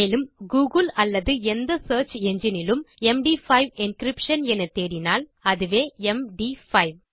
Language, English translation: Tamil, And if you read up on Google or any search engine about MD5 encryption thats M D 5